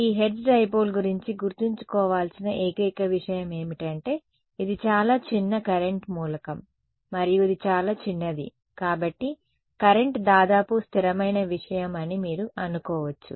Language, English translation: Telugu, The only sort of a thing to remember about this hertz dipole it was a very very small current element and because it is very small, you can assume current is approximately constant thing right